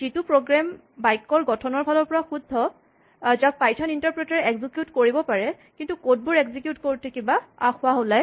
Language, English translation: Assamese, The program is syntactically correct it is something that the python interpreter can execute, but while the code is being executed some error happens